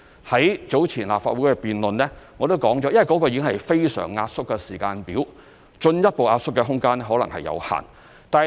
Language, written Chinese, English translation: Cantonese, 在早前立法會的辯論，我已提及，這已經是非常壓縮的時間表，進一步壓縮的空間可能有限。, As I have mentioned earlier in the debate in the Legislative Council this is already a very compressed timetable and there may be limited room for further compression